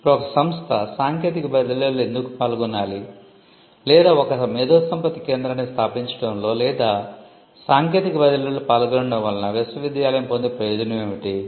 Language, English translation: Telugu, Now, why should an institute involve in technology transfer or what is the need or what is the benefit that a university gets in establishing an IP centre or in doing this involving in technology transfer